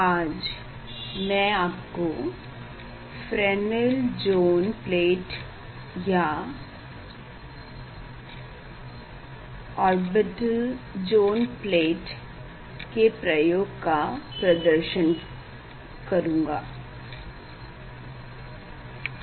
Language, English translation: Hindi, today I will demonstrate Fresnel Zone plate experiment orbital zone plate experiment